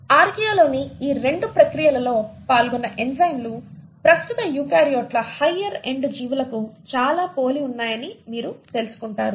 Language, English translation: Telugu, You find that the enzymes involved in these 2 processes in Archaea are very similar to the present day eukaryotes the higher end organisms